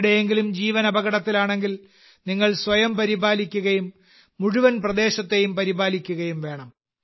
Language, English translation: Malayalam, If someone's life is in danger then you must take care; take care of yourself, and also take care of the entire area